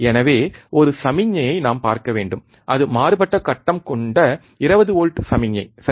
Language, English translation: Tamil, So, we should see a signal which is 20 volt signal is out of phase that is correct, right